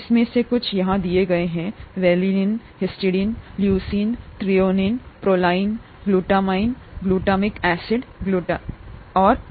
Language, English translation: Hindi, Some of these are given here, valine, histidine, leucine, threonine, proline, glutamine, glutamic acid glutamic acid, okay